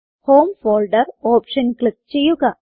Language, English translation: Malayalam, Click on the home folder option